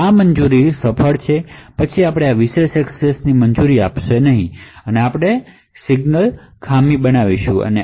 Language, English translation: Gujarati, If these permissions are successful, then you allow this particular access else we will create a signal fault